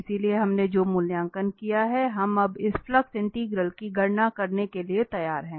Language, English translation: Hindi, So, these evaluation we have done, so we are ready now to compute this flux integral